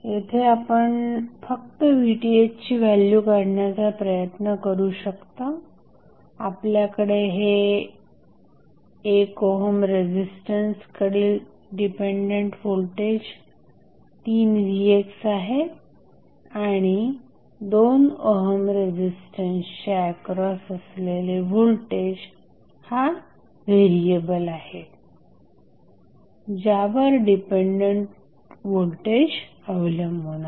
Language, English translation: Marathi, So, here you can just try to find out the value of Vth we are these 3 Vx is there in 1 ohm is the resistance along the 3 Vx dependent voltage source and the dependent variable for the depending source the dependent voltage sources the voltage across 2 ohm resistance